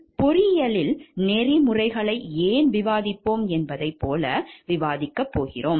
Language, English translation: Tamil, Next we are going to discuss like why we discussed about ethics in engineering